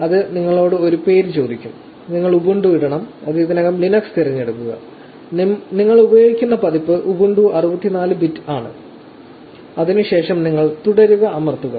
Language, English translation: Malayalam, This will ask you for a name, we just put in ubuntu and it already selects Linux and the version that we are using is Ubuntu 64 bit, then you press continue